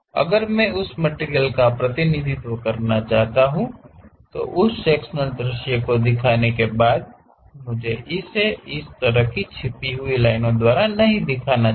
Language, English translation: Hindi, If I want to represent that material, after showing that sectional view I should not just show it by this kind of hidden lines